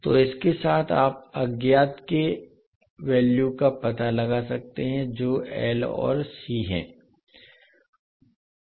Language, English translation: Hindi, So with this you can find out the value of unknowns that is L and C